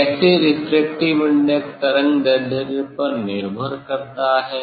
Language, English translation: Hindi, How refractive index depends on the, depends on the wavelength